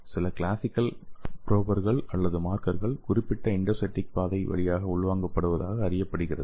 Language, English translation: Tamil, Some of the classical probers or markers known to be internalized through the specific endocytic pathway